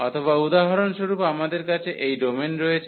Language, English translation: Bengali, Or, we have this domain for instance